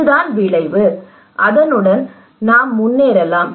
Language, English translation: Tamil, This is the outcome, and we can go ahead for that